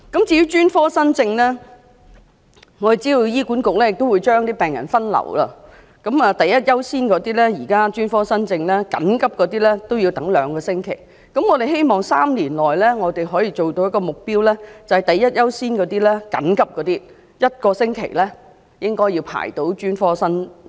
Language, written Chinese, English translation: Cantonese, 至於專科新症方面，我們知道醫管局會將病人分流，現在第一優先的專科新症要輪候兩個星期，我們希望政府和醫管局在3年內能夠達到的目標是，第一優先的專科新症輪候1個星期便能會診。, As for new cases for specialist services we all know that HA has adopted a triage system to sort out the urgency of patients . At present urgent new cases for specialist services have to wait for two weeks . We hope that the Government and HA will achieve the following targets within three years Patients of urgent new cases for specialist services should be able to receive treatment after waiting for 1 week